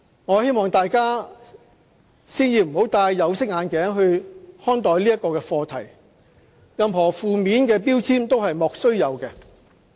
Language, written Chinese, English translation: Cantonese, 我希望大家先不要戴"有色眼鏡"看待這個課題，任何負面的標籤都是"莫須有"的。, I sincerely hope Members will not look at this very topic with any tinted glasses and trump up charges against all negatively labelled matters